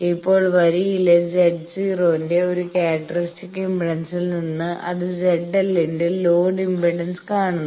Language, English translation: Malayalam, Now from a characteristic impedance of Z 0 in the line it is seeing a load impedance of Z l